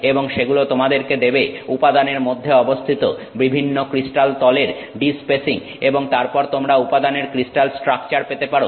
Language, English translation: Bengali, And that gives you the de spacing of different crystal planes which are present inside that material and then you can get the crystal structure of the material